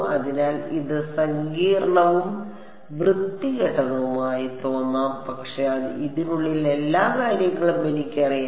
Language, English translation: Malayalam, So, it may be looking complicated and ugly, but ever thing inside this is known to me